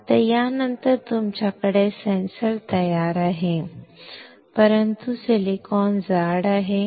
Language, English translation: Marathi, Now, after this you have the sensor ready, but the silicon is thick